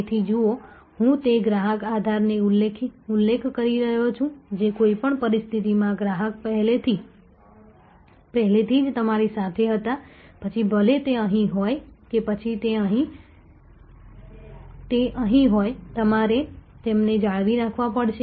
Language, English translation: Gujarati, So, see continuously I am referring to that customer base the customers were already with you under any situation, whether it is here or whether it is here are across the trajectory you will have to retain them